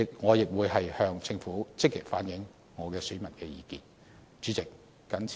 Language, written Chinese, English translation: Cantonese, 我亦會向政府積極反映我界別選民的意見。, I will also actively convey the opinions of my constituency to the Government